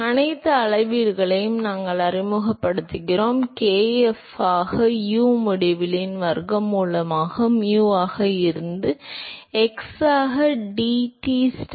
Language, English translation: Tamil, So, we introduce all the scaling, and that will trun out to be kf into square root of u infinity by mu into x into dTstar by deta at eta equal to 0 and